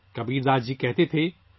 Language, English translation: Urdu, Kabirdas ji used to say,